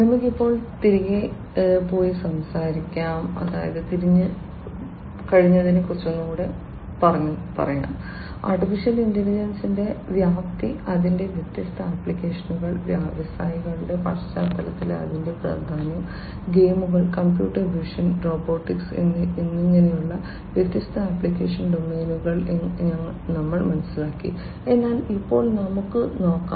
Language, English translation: Malayalam, Let us now go back and talk about, we have understood more or less the scope of AI, the different applications of it, its importance in the context of industries and different other application domains like games, computer vision, robotics, etcetera, but let us now try to understand in little bit further depth